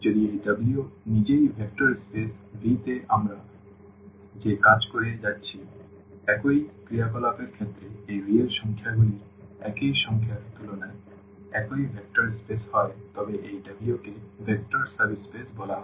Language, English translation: Bengali, If this W itself is a vector space over the same the set of these real numbers with respect to the same operations what we are done in the vector space V then this W is called a vector subspace